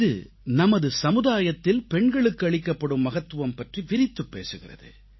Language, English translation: Tamil, This underscores the importance that has been given to women in our society